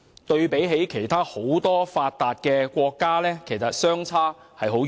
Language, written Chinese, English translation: Cantonese, 對比很多其他發達國家，情況相差很遠。, This was in stark contrast to the situations in many other developed countries